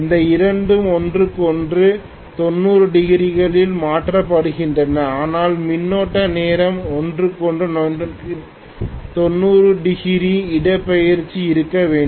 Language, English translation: Tamil, These 2 are shifted from each other by 90 degrees, but we should also have the currents time displace from each other by 90 degrees